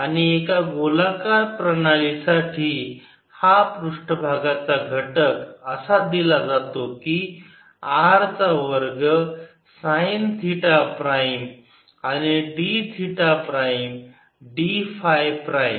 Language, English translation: Marathi, this spherical element is given by r square time theta prime and d theta prime, d phi prime